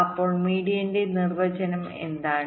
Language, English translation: Malayalam, so what is the definition of median